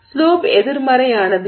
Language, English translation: Tamil, The slope is positive